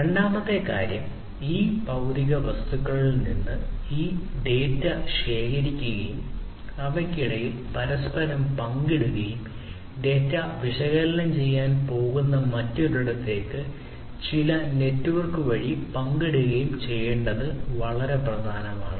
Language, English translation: Malayalam, The second thing is that it is very important to collect these different data from these physical objects and share between themselves between themselves and also share the data through some network to elsewhere where it is going to be analyzed